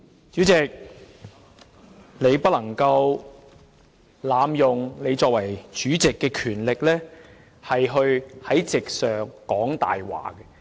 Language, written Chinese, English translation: Cantonese, 主席，你不能濫用你以主席身份可以行使的權力，在席上說謊。, Chairman you must not abuse the power you may exercise in your capacity as the Chairman to lie in the meeting